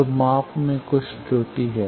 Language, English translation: Hindi, So, there is some error in the measurement